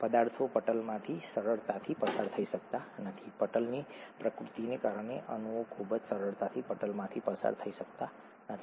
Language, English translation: Gujarati, Substances cannot very easily pass through the membrane; molecules cannot very easily pass through the membrane because of the nature of the membrane